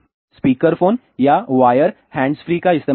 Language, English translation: Hindi, Use speaker phone or wire hands free